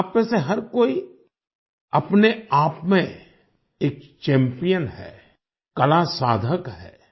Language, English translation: Hindi, Each one of you, in your own right is a champion, an art seeker